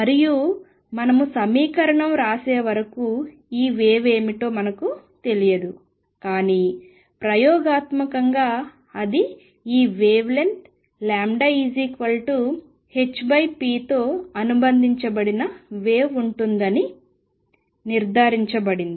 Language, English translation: Telugu, And we do not yet know what this wave is until we write equation in start interpreting, but experimentally it is established that there is a wave associated which has a wavelength lambda which is h over p